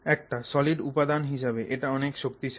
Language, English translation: Bengali, So, as a solid material that's a very strong material